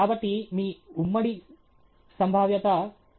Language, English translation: Telugu, So, your joint probability is 0